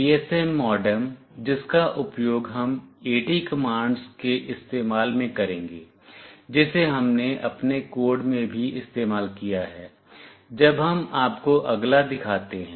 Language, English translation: Hindi, The GSM modem that we will be using use AT commands, which we have also used in our code when we show you next